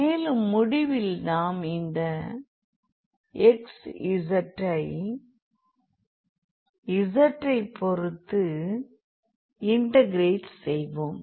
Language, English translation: Tamil, So, if you want to integrate this so, first we need to integrate with respect to z